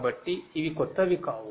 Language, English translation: Telugu, So, you know these are not new